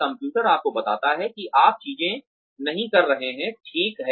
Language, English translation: Hindi, The computer tells you that you are not doing things, right